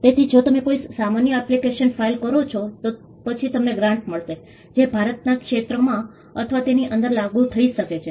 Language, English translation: Gujarati, So, if you file an ordinary application, then you would get a grant, that is enforceable in or within the territory of India